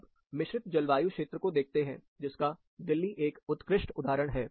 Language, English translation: Hindi, Take a look at composite climate, Delhi is a classic example